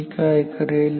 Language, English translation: Marathi, What do I do